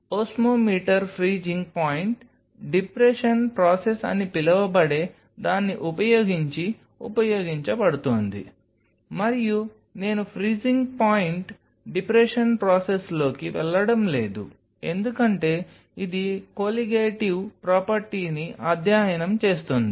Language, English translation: Telugu, Osmometer is being used using something called freezing point depression process, and I am not going to get into the freezing point depression process because it falls under the studying the Colligative property